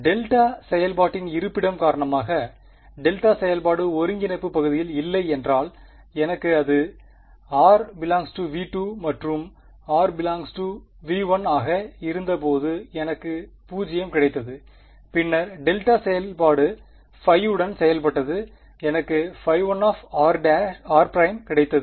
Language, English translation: Tamil, Because of location of the delta function; if the delta function was not in the region of integration then I got a 0 which happened when r prime was in V 2 right and when r prime was in V 1 then the delta function acted with phi 1 and I got phi 1 r prime right